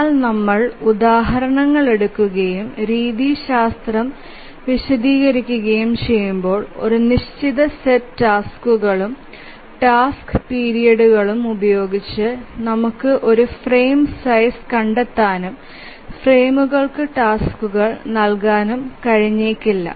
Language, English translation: Malayalam, But as we take examples and explain the methodology, we will find that it may be possible that with a given set of tasks and task periods we may not be able to find a frame size and assign tasks to frames